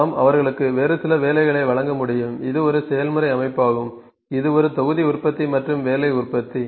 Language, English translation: Tamil, We can give them some other job some other job could be given so, which is the kind of a process layout, it would be kind of a batch production and job production